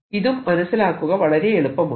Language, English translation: Malayalam, this is also very easy to understand